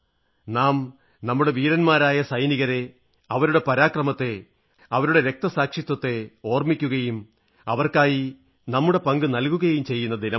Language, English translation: Malayalam, This is the day when we pay homage to our brave soldiers, for their valour, their sacrifices; we also contribute